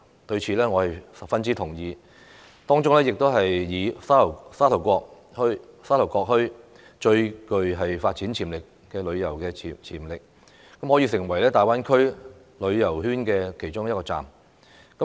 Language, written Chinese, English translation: Cantonese, 對此，我是十分同意，當中以沙頭角墟最具發展旅遊潛力，可以成為大灣區旅遊圈的其中一站。, I fully concur with these remarks and I think that Sha Tau Kok Town among other places shows the greatest potential to develop tourism and to become one of the destinations in the Greater Bay Area tourism circle